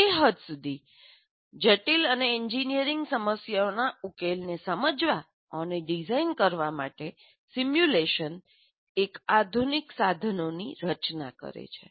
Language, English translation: Gujarati, Now, to that extent, simulation constitutes one of the modern tools to understand and design solutions to complex engineering problems